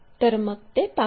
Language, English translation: Marathi, So, let us look at that